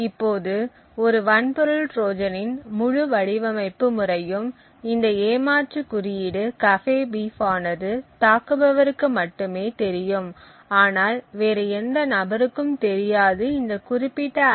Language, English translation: Tamil, Now the entire design methodology of a hardware Trojan is that this cheat code cafebeef is only known to the attacker but not to any other person who is designing or using this particular IC